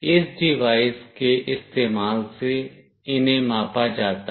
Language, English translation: Hindi, These are measured using this device